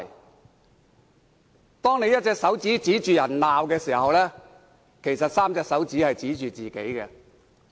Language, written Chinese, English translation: Cantonese, 當他們舉着一隻手指指罵別人，其實有3隻手指是在指向自己。, When they point one finger and berate others they actually have three pointing at themselves